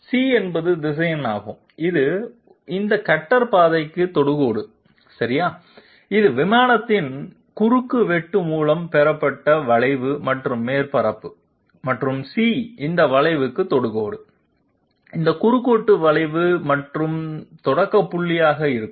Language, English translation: Tamil, C is the vector which is tangent to this cutter path okay, this is the curve obtained by the intersection of the plane and the surface and C happens to be the tangent to this curve, this intersection curve and the starting point